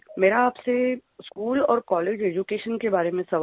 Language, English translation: Hindi, I have a question for you about the school and college education